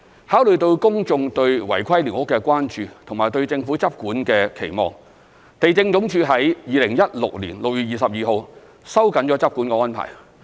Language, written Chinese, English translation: Cantonese, 考慮到公眾對違規寮屋的關注及對政府執管的期望，地政總署於2016年6月22日收緊執管安排。, In view of public concern over irregular squatters and their expectation of the Government to take enforcement actions LandsD tightened its law enforcement arrangement on 22 June 2016